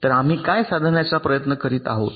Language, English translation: Marathi, ok, so what we are trying to achieve